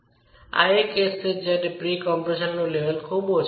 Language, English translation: Gujarati, This is particularly the case when the level of pre compression is very low